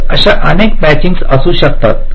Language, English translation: Marathi, so there can be multiple such matchings